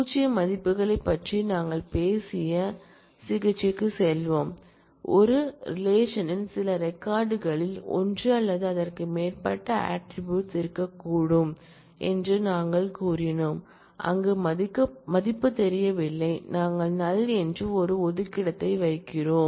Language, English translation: Tamil, Let us, go to the treatment of we talked about null values, that we said that it is possible that certain records in a relation may have one or more attributes where, the value is not known and to represent, that the value is not known we are putting a placeholder called null